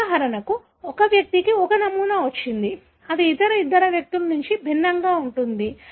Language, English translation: Telugu, For example, an individual has got a pattern, which is very, very different from the other two individuals